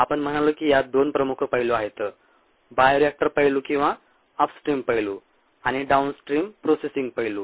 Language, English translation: Marathi, we said that it has two major aspects: the bioreactor aspect or the upstream aspect, and the downstream processing aspects